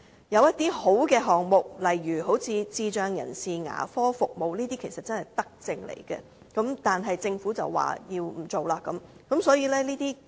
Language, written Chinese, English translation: Cantonese, 有些良好的項目，例如智障人士牙科服務其實真正是德政，但政府卻表示不推行。, Some measures are truly virtuous such as dental services for persons with intellectual disabilities yet according to the Government these measures are not going to be carried out